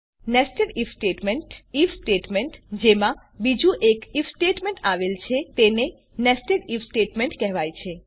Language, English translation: Gujarati, Nested if statements, An If statement within another if statement is called a nested if statement